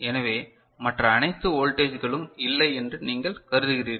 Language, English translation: Tamil, So, you consider all other voltages are not present